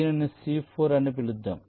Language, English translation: Telugu, lets call it c four